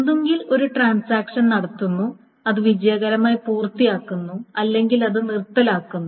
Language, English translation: Malayalam, So either a transaction commits which means it has completed everything successfully or it aborts